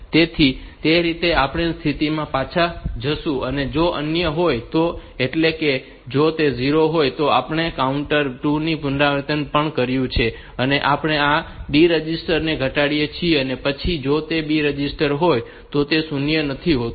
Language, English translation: Gujarati, So, if it is 0, we have completed one iteration one complete iteration of this counter 2, we decrement this D register and then if it is b registered is not zero